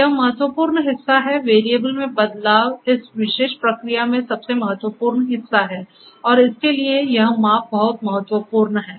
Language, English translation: Hindi, So, this is important part the manipulation of the variables is the most important part in this particular process and for that this measurement is very important